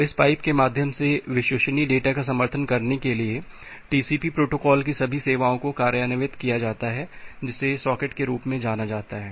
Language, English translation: Hindi, So, all the services of this TCP protocol is implemented to support reliable data through this pipe which is termed as the socket